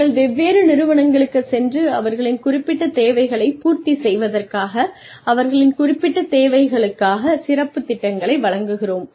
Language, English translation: Tamil, We also go to different organizations, and deliver specialized programs, for their specific needs, to cater to their specific needs